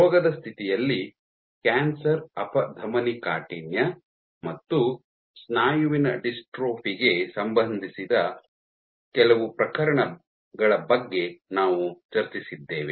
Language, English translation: Kannada, In disease, we discussed about few cases related to cancer atherosclerosis and muscular dystrophy